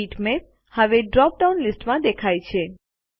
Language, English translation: Gujarati, The Bitmap now appears in the drop down list